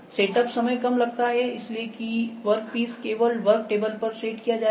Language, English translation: Hindi, Reduced setup time is there, there just because the only work piece it will be set on the work table